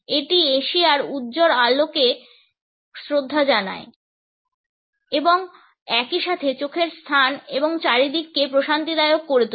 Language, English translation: Bengali, It pays homage to the bright lights of Asia and at the same time portrays eye space and atmosphere which is soothing to look at